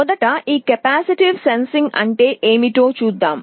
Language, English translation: Telugu, Now, first let us see what this capacitive sensing is all about